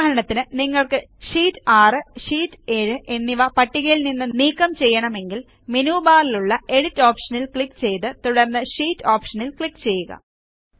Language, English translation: Malayalam, For example if we want to delete Sheet 6 and Sheet 7from the list, click on the Edit option in the menu bar and then click on the Sheet option